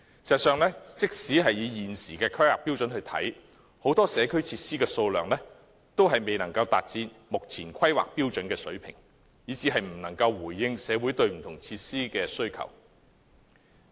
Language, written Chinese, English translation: Cantonese, 事實上，即使根據過往的規劃標準，現時很多社區設施的數量均未能達標，以致無法回應社會的需求。, In fact even by the standards of the long - standing guidelines many community facilities at present have failed to meet the targets thereby failing to respond to the needs of the community . Take recreational and sports facilities as an example